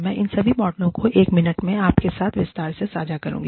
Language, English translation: Hindi, I will share, all these models, in detail with you, in a minute